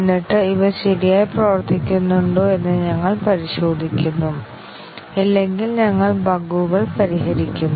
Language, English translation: Malayalam, And then we check whether these are working correctly; if not, we fix the bugs